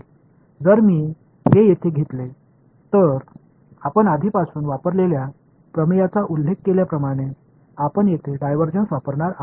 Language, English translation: Marathi, So, if I take this over here then as you already mentioned the theorem that we will use is divergence here right